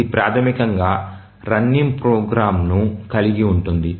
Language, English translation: Telugu, It basically involves running program